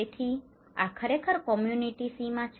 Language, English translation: Gujarati, So, this is actually the community boundary okay, community boundary